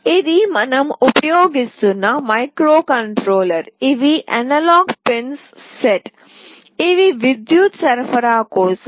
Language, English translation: Telugu, This is the microcontroller that we are using, these are the set of analog pins, these are for the power